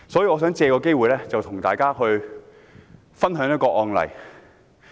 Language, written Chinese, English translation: Cantonese, 我想藉此機會與大家分享一宗案例。, I would like to take this opportunity to share with you a case